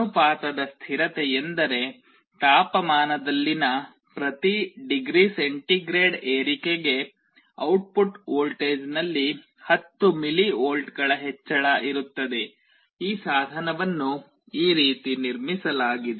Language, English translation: Kannada, The constant of proportionality is such that there will be an increase in 10 millivolts in the output voltage for every degree centigrade rise in the temperature, this is how this device has been built